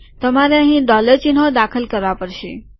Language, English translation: Gujarati, You need to include dollars here